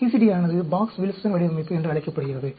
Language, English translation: Tamil, The CCD is called the Box Wilson design